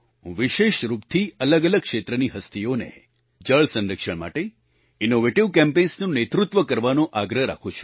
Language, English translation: Gujarati, I specifically urge the luminaries belonging to different walks of life to lead promotion of water conservation through innovative campaigns